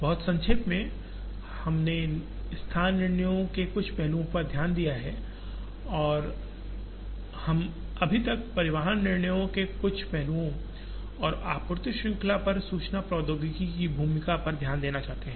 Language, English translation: Hindi, Very briefly, we have looked at some aspects of location decisions and we are yet to look at some aspects of transportation decisions and the role of information technology on the supply chain